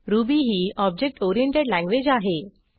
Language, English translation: Marathi, Ruby is an object oriented language